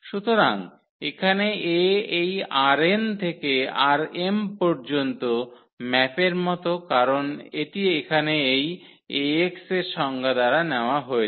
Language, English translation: Bengali, So, here the A is like map from this R n to R m because it is taking by this definition here Ax